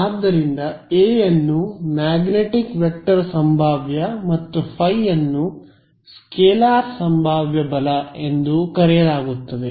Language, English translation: Kannada, So, A is called the magnetic vector potential and phi is called the scalar potential right